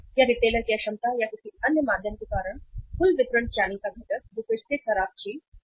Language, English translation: Hindi, Or because of the inefficiency of the retailer or any other means uh component of the total distribution channel that is again a bad thing